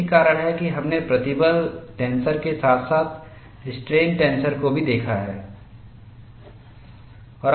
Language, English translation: Hindi, That is why we have looked at stress tenser as well as strain tenser